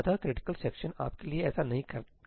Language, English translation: Hindi, critical section does not do that for you